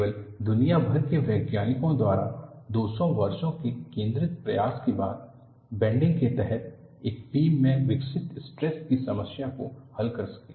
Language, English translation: Hindi, Only, after 200 years of concentrated effort by scientists across the world, could solve the problem of stresses developed in a beam under bending